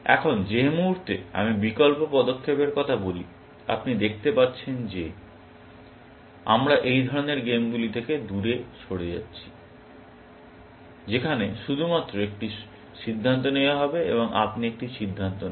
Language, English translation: Bengali, Now, the moment I talk of alternate moves, you can see that we are moving away from these kinds of games where, there is only one decision to be made, and you make one decision